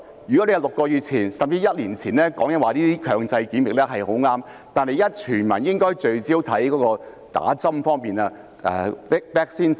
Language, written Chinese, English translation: Cantonese, 如果你在6個月甚至1年前提出這些強制檢疫是很正確，但現時全民應該聚焦在打針方面、vaccine 方面。, It would have been right if compulsory testing had been proposed six months or even a year ago but now the whole community should focus on jabs and vaccines